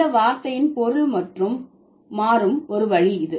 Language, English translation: Tamil, So, this is one way by which the meaning of the word changes